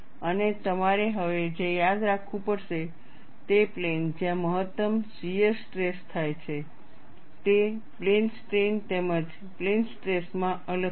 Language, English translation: Gujarati, And what you will have to now remember is the plane where the maximum shear stress occurs, is different in plane strain, as well as plane stress